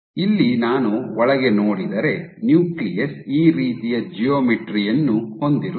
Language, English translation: Kannada, Here if I look inside view the nucleus will have a geometry like this